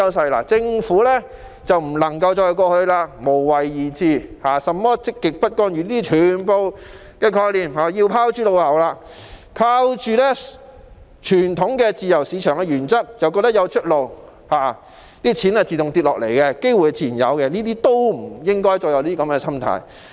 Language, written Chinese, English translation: Cantonese, 特區政府不能再抱着無為而治或積極不干預的思維，全部這樣的概念也要拋諸腦後；也不能依靠傳統自由市場原則就覺得有出路，錢會自動掉下來、機會自然有，不應該再有這樣的心態。, The SAR Government cannot adhere dearly to the mindset of laissez faire or positive non - interventionism and all these concepts have to be discarded . Also it should not think that if we stick to the conventional free market principle there will be a way out and there will naturally be money and opportunities coming to us . Hong Kong should not have this kind of mentality